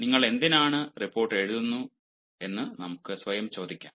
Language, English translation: Malayalam, let us ask ourselves why you are writing this report